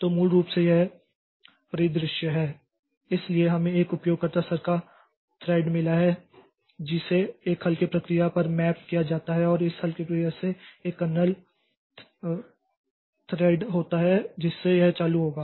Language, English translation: Hindi, So, we have got a user level thread so that is mapped onto a lightweight process and from this lightweight process so there there is a kernel thread so that will be running